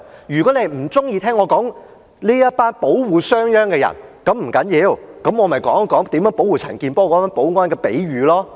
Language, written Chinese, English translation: Cantonese, 如果你不喜歡我說這群保護商鞅的人，不要緊，我可以說說保護陳健波議員的保安來作比喻了。, If you do not like my elaboration on the bodyguards of SHANG Yang it is okay . I can use the example of the security staff protecting Mr CHAN Kin - por to explain my views